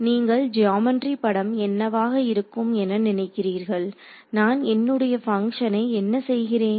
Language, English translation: Tamil, So, what is the geometric picture you can think of how, what am I doing to my function